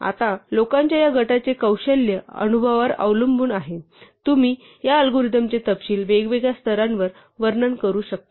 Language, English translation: Marathi, Now depending on the expertise and the experience of this group of people, you can describe this algorithm at different levels of detail